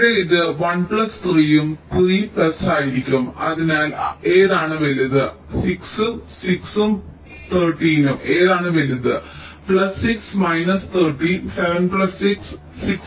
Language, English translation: Malayalam, here it will be one plus three and three plus there, whichever is larger, six, six and seven, whichever is larger plus six, thirteen, seven plus six and six plus zero six